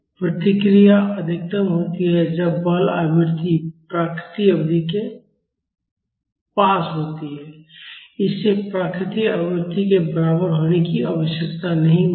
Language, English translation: Hindi, The response is maximum when the forcing frequency is near natural frequency, it need not be equal to natural frequency